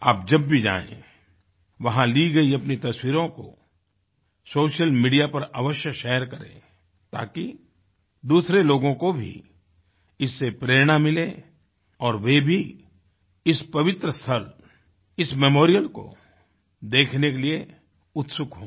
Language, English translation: Hindi, Whenever you are there, do capture images and share them on social media so that others get inspired to come & visit this sacred site with eagerness